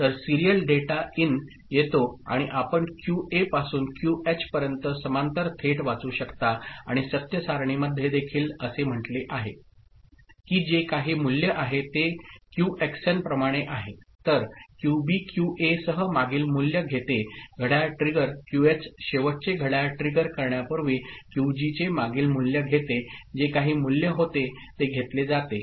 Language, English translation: Marathi, So, this is how the serial data in comes and output you can read from QA to QH parallelly directly and in the truth table also it is mentioned like this Qxn whatever is the value – so, QB takes the previous value of QA with the clock trigger ok, QH takes the previous value of QG just before the last clock trigger whatever the value was that is taken